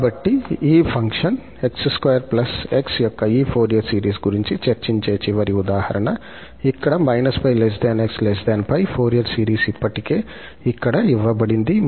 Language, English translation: Telugu, Well, so the last example where we will discuss that this Fourier series of this function x square plus x in this interval, minus pi to pi, the Fourier series is already given here